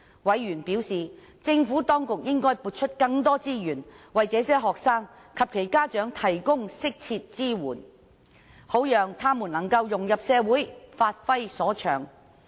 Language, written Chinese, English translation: Cantonese, 委員表示，政府當局應該撥出更多資源，為這些學生及其家長提供適切支援，好讓他們能夠融入社會，發揮所長。, Members held that the Administration should allocate more resource on providing suitable support for these students and their parents so that they could better integrate into society and give full plan of their talents